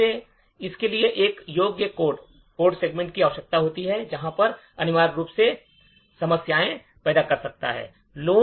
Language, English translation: Hindi, Secondly, it requires a writable code segment, which could essentially pose problems